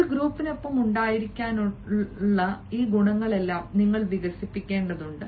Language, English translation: Malayalam, today you will have to develop all these qualities of being with a group